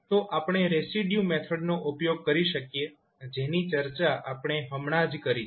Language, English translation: Gujarati, So, we can use the residue method, which we discussed just now